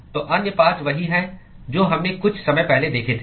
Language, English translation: Hindi, So, the other 5 are the same thing what we saw a short while ago